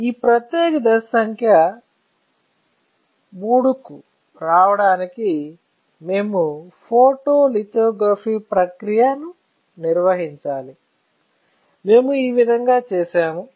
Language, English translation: Telugu, So, to come to this particular step which is step number III, we have to perform the photolithography process, so this is how we have done